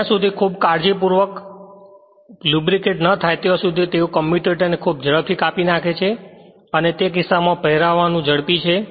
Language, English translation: Gujarati, Unless very carefully lubricated they cut the commutator very quickly and in case, the wear is rapid right